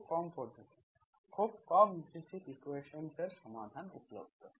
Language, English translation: Bengali, Very few methods, very very few are available to solve the implicit equations